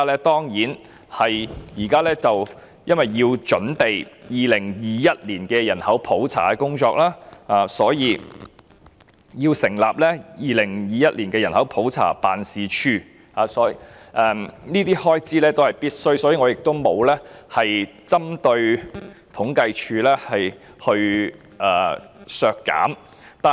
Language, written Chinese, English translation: Cantonese, 當然是因為現時要準備2021年的人口普查工作，所以要成立2021年人口普查辦事處，這些開支是必須的，故此我沒有針對統計處提出削減開支。, Why is there such a significant increase? . It is certainly due to the preparatory work for the 2021 Population Census 21C currently underway which warrants the setting up of the 21C Office . As these expenses are necessary I have not proposed to reduce the expenditure of CSD